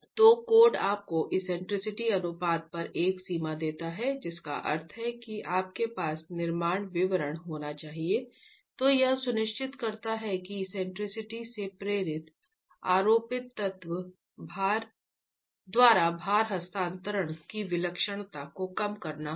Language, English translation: Hindi, So, code giving you a limit on the eccentricity ratio implies that you have to have construction detailing that ensures that the eccentricity is induced by the eccentricity of the load transfer by superimposed elements has to be curtailed